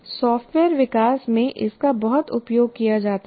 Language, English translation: Hindi, This is very, very much used in software development